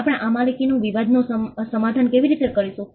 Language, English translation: Gujarati, How are we going to settle this ownership dispute